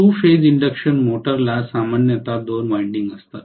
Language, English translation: Marathi, Two phase induction motor will normally have two windings